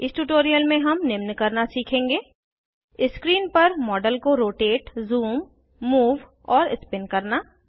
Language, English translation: Hindi, In this tutorial,we have learnt to Rotate, zoom, move and spin the model on screen